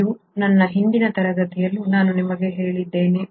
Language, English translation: Kannada, This is something I told you even my previous class